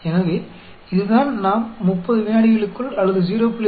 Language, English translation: Tamil, 3 that we detected a particle within 30 seconds, or within 0